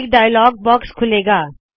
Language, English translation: Punjabi, A dialog window opens